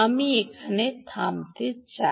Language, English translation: Bengali, i would like to stop here